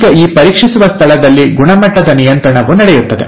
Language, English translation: Kannada, Now in this checkpoint, there is a quality control which takes place